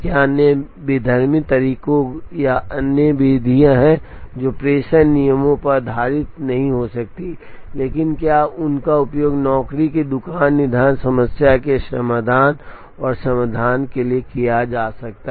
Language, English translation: Hindi, Are there other heuristic methods or other methods, which may not be based on dispatching rules, but can they also be used to try and get solutions, to the job shop scheduling problem